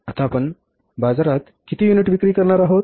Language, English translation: Marathi, How much units we are going to sell in the market now